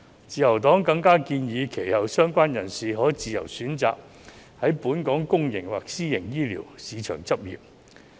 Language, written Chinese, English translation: Cantonese, 自由黨更建議，相關人士其後可自由選擇在本港公營或私營醫療市場執業。, The Liberal Party also suggests that they should be free to choose to practise in the public or private healthcare markets in Hong Kong afterwards